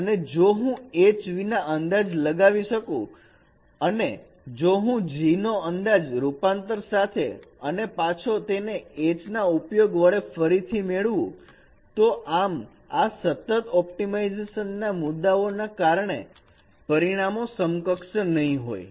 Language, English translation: Gujarati, So if I estimate H without transformation and if I estimate G with transformation and convert, get back the H from there, the results won't be equivalent because of this constant optimization issues